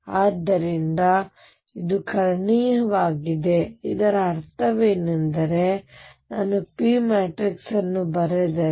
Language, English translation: Kannada, So, this is diagonal what; that means, is that if I write p matrix